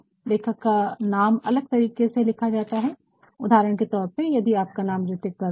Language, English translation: Hindi, The authors nameis to be written in a different manner for example, if your nameah is supposeHrithikVarma